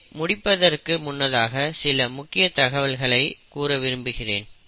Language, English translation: Tamil, Before I wind up, I just want to highlight few points